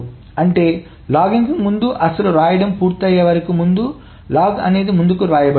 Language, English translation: Telugu, That means before the logging, before the actual right is done, the log is being written ahead